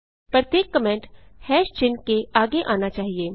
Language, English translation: Hindi, Every comment must be preceded by a # sign